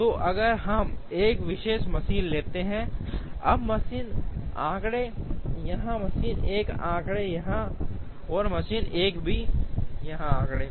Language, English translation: Hindi, So, if we take a particular machine, now the machine figures here, machine 1 figures here as well as machine 1 figures here